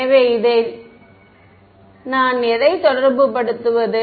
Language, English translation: Tamil, So, that corresponds to what